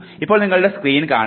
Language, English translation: Malayalam, Now, you see your screen